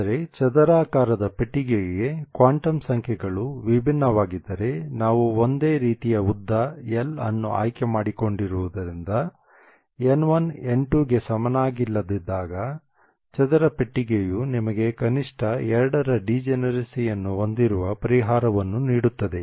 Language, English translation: Kannada, So if the quantum numbers are identical there is no degeneracy but if the quantum numbers are different for a square box because we have chosen the length l to be the same, the square box gives you the solution that you have a minimum degeneracy of 2 if N1 is not the same as N2